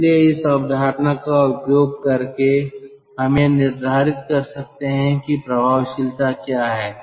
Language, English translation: Hindi, so using this concept we can determine what is the effectiveness